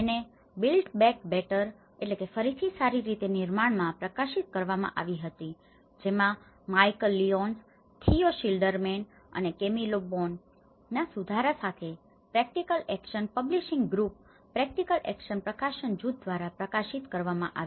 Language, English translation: Gujarati, So this has been published in the built back better which was edited by Michal Lyons, Theo Schilderman, and with Camilo Boano and published by the practical action publishing group